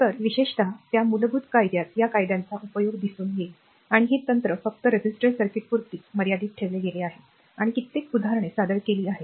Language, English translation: Marathi, So, in this particularly in that basic law we will see that application of this laws, and the technique will be your what you call restricted to only resistors circuit and several examples are presented